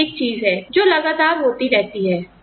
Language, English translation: Hindi, That is one thing, that is constantly happening